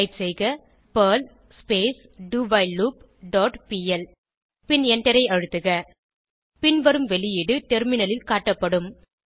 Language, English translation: Tamil, Type perl doWhileLoop dot pl and press Enter The following output will be displayed on the terminal